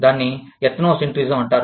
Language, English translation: Telugu, That is called Ethnocentrism